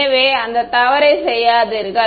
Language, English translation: Tamil, So, do not make that mistake